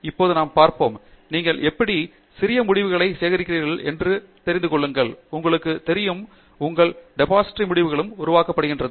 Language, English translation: Tamil, We will now look at, how do you as you start collecting all those small results and you know, building up your depository of results